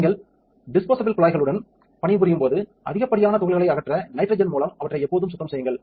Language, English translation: Tamil, When you are working with disposable pipettes always clean them with nitrogen to remove excess particles